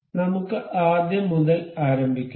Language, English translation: Malayalam, So, let us begin from the start